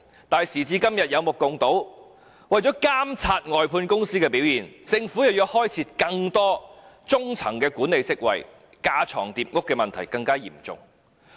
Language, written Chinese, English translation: Cantonese, 可是，時至今日，大家有目共睹，為了監察外判公司的表現，政府卻要開設更多中層管理職位，架床疊屋的問題更為嚴重。, However it is obvious to people that today to monitor the performance of contractors the Government has to create more mid - level management positions aggravating the problem of unnecessary duplication